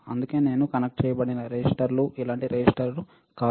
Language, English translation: Telugu, That is why I connected resistors like this, not resistor like this